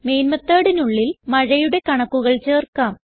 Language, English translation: Malayalam, Within the main method, let us add the rainfall data